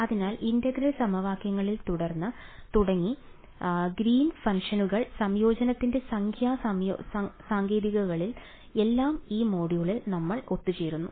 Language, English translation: Malayalam, So, starting with integral equations, Green’s functions numerical techniques of integration, everything comes together in this module alright